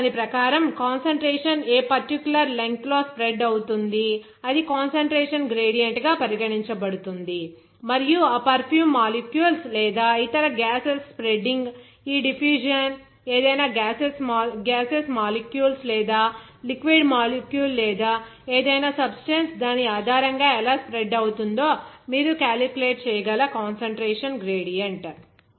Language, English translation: Telugu, So, according to that, how that the concentration is spread in a particular length that will be regarded as concentration gradient and then this diffusion that is spreading of that perfume molecules or any other gases you can say that, any gaseous molecules or liquid molecule or any substance, how it will be spread or diffused based on that, that concentration gradient you can calculate